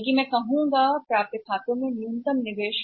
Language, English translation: Hindi, Rather I would say that the minimum investment in accounts receivables